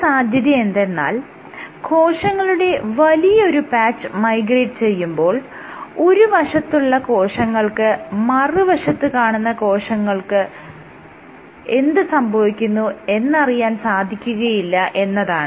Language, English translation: Malayalam, One possibility is when you have a bigger it cells from bigger patch migrating then the cells at this edge do not know of what happens what is happening to the cells at the opposite edge